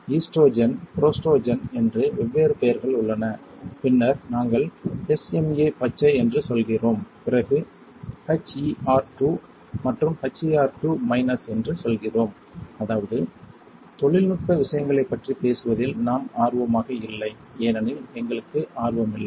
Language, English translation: Tamil, There are different name for that estrogen, prostrogen and then we say SMA green and then we also say HER2 plus HER2 minus that is let us not got to technical things because we are not interested right